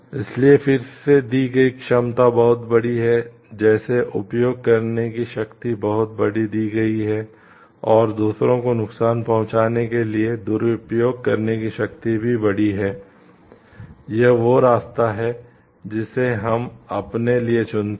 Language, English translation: Hindi, So, again capability given is huge like the power to use given is huge and also the power to misuse for providing harm to others is also given huge, it is the path that we choose for ourselves